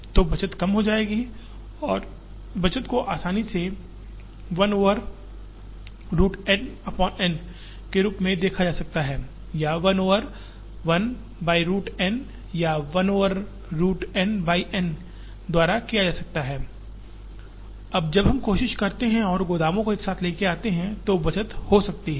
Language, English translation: Hindi, So, the saving will come down and this saving can easily be shown as 1 over root N by N or 1 over 1 by root N or 1 over root N by N will, now be the saving when we try and bring the warehouses together